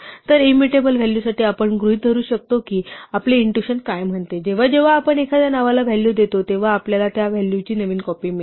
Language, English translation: Marathi, So, for immutable values we can assume what we are intuition says that whenever we assign a name a value we get a fresh copy of that value